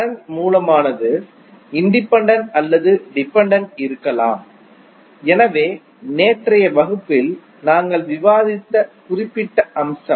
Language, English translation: Tamil, Current source may be the independent or dependent, so that particular aspect we discussed in yesterday’s class